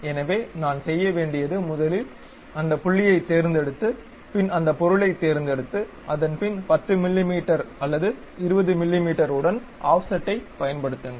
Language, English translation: Tamil, So, what I have to do is first pick that point uh pick that object then use Offset with 10 mm or perhaps 20 mm we are going to construct offset